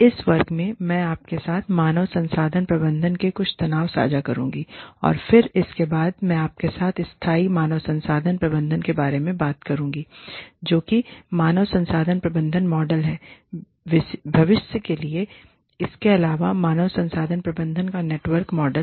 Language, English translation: Hindi, In this class, i will be sharing, some tensions with you, in human resource management And then, following that, i will be talking to you about, sustainable human resource management, which is the human resource management model, for the future, in addition to this, networked model of human resource management